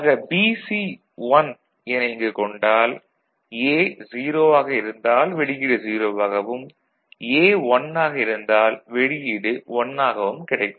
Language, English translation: Tamil, So, BC is 1 here as well as here alright these two cases, but when A is 0 right, output is 0 because it is again getting ANDed and when A is 1 output is 1